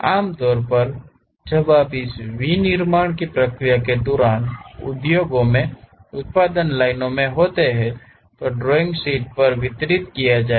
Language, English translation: Hindi, Typically, when you are in production lines in industries during this manufacturing process drawing sheets will be distributed